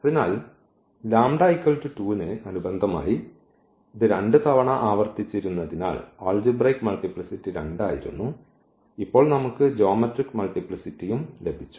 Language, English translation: Malayalam, So, corresponding to those lambda is equal to 2 because it was repeated this 2 times the algebraic multiplicity was 2, this algebraic multiplicity of this was 2 and we also got now the geometric multiplicity